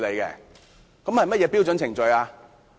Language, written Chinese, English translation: Cantonese, 是甚麼標準程序？, What is the standard procedure?